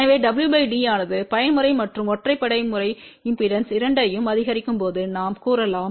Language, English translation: Tamil, So, we can say that as w by d increases both even mode and odd mode impedance decrease